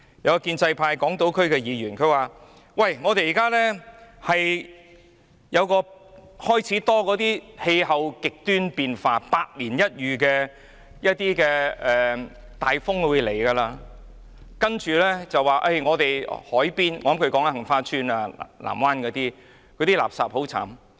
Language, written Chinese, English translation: Cantonese, 有一位香港島選區的建制派議員說，現在開始多了氣候極端變化在香港出現，包括百年一遇的風暴，令海邊——我想他是說杏花邨和藍灣半島——被垃圾充斥。, A pro - establishment Member from the Hong Kong Island geographical constituency said that extreme climate changes have affected Hong Kong more frequently including the once - in - a - century super storm which littered the waterfronts―I guess he was talking about the waterfronts outside Heng Fa Chuen and Island Resort